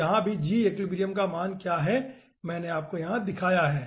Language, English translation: Hindi, so here also, what is the value of g equilibrium i have shown you over here